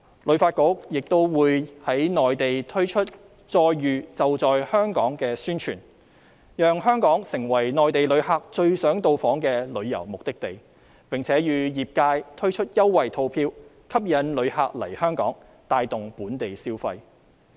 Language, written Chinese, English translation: Cantonese, 旅發局亦會在內地推出"再遇.就在香港"的宣傳，讓香港成為內地旅客最想到訪的旅遊目的地，並會與業界推出優惠套票吸引旅客來港，帶動本地消費。, HKTB will also launch a publicity programme titled Open House Hong Kong in the Mainland to showcase Hong Kong as the most wanted destination for Mainland tourists and roll out promotional packages together with the tourism industry to attract tourists to come and visit Hong Kong and in turn invigorate local spending